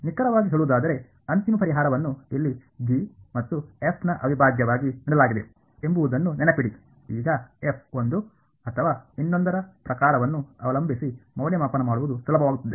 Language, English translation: Kannada, Exactly so, remember the final solution is given here the integral of G and F, now depending on the kind of form of f one or the other will be easier to evaluate